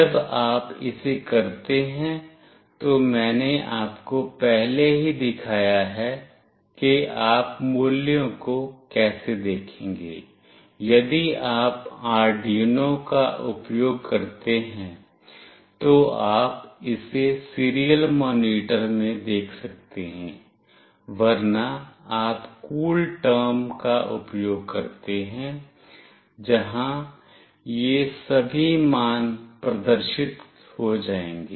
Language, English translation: Hindi, When you do it, I have already shown you that how you will be looking into the values, if you use Arduino, you can see it in the serial monitor; else you use CoolTerm where all these values will get displayed